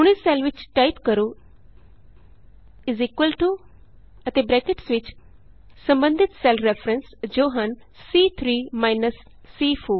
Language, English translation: Punjabi, Now in this cell, type is equal to and within braces the respective cell references, that is, C3 minus C4